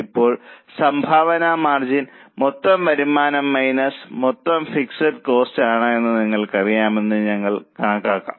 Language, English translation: Malayalam, Now we can calculate, you know that contribution margin is total revenue minus total fixed cost